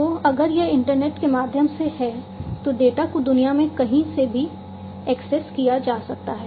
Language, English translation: Hindi, So, if it is through the internet, then, you know, the data can be accessed from anywhere in the world